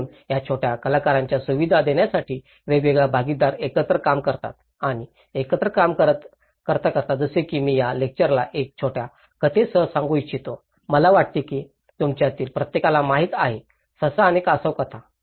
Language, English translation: Marathi, So, this is where different partnerships work and work actually together to provide facility for these small actors like I would like to conclude this lecture with a small story, I think every one of you know, the hare and tortoise story